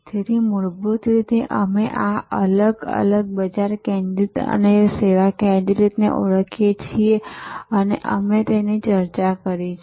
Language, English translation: Gujarati, So, fundamentally we therefore, identify these two different market focused and service focused, we have discussed that